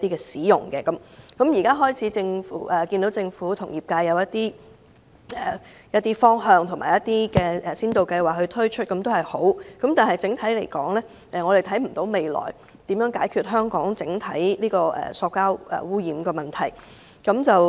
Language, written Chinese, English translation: Cantonese, 雖然政府已開始與業界訂立一些方向及推出一些先導計劃，這是好事，但整體來說，我們看不到政府未來如何解決香港整體的塑膠污染問題。, Although it is good to see that the Government has started to work with industries to formulate directions and launch pilot schemes on this issue we cannot see any plan from the Government on comprehensively addressing the problem of plastic pollution in Hong Kong